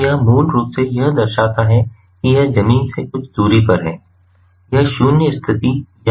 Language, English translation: Hindi, so this basically signifies it is at certain distance from the ground, right, it is not at the zeroth position or the same as x and y axis